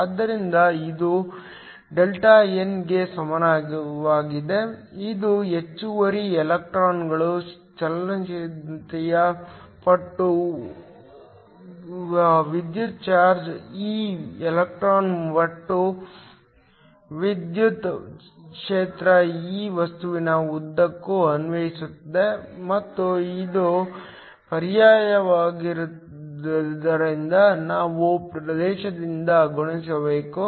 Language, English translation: Kannada, So, this is equal to Δn which is the excess electrons times the mobility times the electric charge e of the electron times an electric field E that is applied across the material, and since it is the current we have to multiply by the area